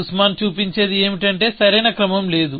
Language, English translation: Telugu, What Sussman shows was that there is no correct order